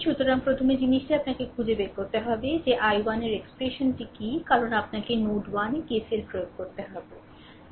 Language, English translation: Bengali, So, first thing is that you have to find out that your what to call that what is the what is the expression of i 1 because you have to apply KCL at node 1